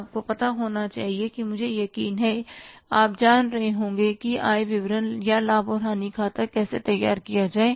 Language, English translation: Hindi, You must be knowing, I'm sure that you must be knowing how to prepare the income statement or the profit and loss account